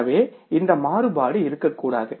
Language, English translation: Tamil, So, this variance should not be there